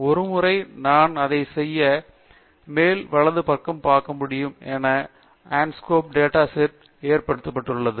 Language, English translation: Tamil, Once I do that, as you can see on the top right, Anscombe data set has been loaded